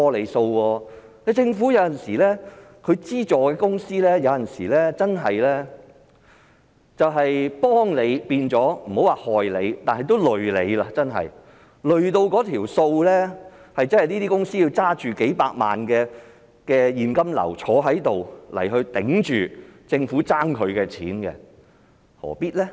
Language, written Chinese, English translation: Cantonese, 有時候政府資助公司，不能說是"幫你變成害你"，但有時候真的會變成連累你，令那些公司要拿着數百萬元的現金流來抵住政府欠他們的撥款，何必呢？, Although it is not fair to say that the Governments initiative to provide funding support to private companies has done harm rather than good to them it has indeed got them into trouble sometimes by making it necessary for them to have a cash flow of millions of dollars as advance expenditure before the Government reimburses the money to them